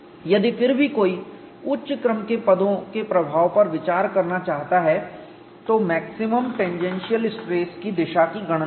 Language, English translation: Hindi, If however, one wants to consider the influence of higher order terms, then calculate the direction of the maximum tangential stress